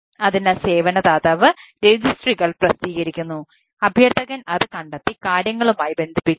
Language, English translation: Malayalam, so the registry, the service provider publish it, requestor finds it and binds with things